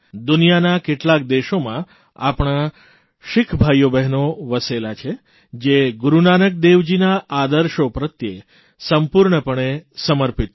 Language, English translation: Gujarati, Many of our Sikh brothers and sisters settled in other countries committedly follow Guru Nanak dev ji's ideals